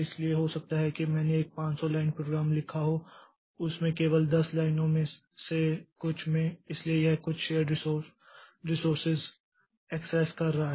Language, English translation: Hindi, So, maybe I have written a 500 line program and in that in some only in 10 lines so it is accessing some shared results